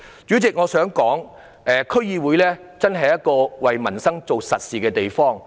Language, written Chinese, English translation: Cantonese, 主席，我還想指出，區議會是為民生做實事的地方。, President I also wish to point out that DCs are places where practical work relating to peoples livelihood is done